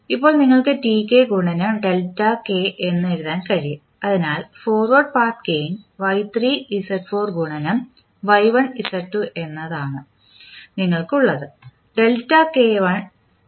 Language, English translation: Malayalam, Now you can write Tk into delta k, so what is the forward path gain you have Y1 Z2 into Y3 Z4